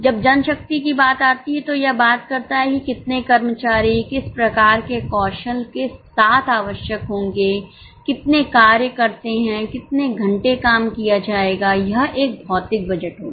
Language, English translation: Hindi, When it comes to manpower, it talks about how many employees are required with what types of skills, how many hours of work will be done, that will be a physical budget